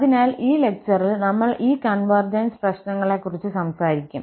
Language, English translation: Malayalam, So, in this lecture, we will be talking about these convergence issues